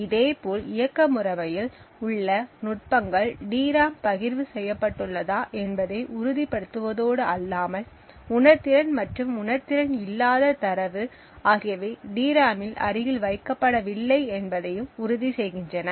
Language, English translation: Tamil, Similarly, techniques in the operating system like ensuring that the DRAM is partitioned, and sensitive and non sensitive data are not placed adjacent to each other on the DRAM